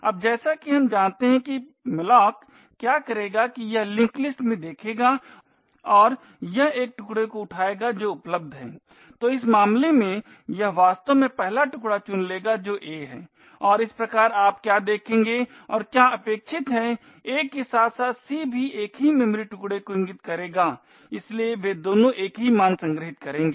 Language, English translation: Hindi, Now as we know what malloc would do is that it would look into the link list and it would pick one of the chunks which is available, so in this case it would actually pick the first chunk which is a and thus what you would see and what is expected is that a as well as c would point to the same memory chunk, so both of them would have the same value stored in them